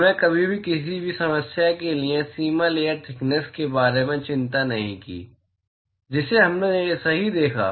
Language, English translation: Hindi, We never worried about boundary layer thickness for any of the problem we looked at right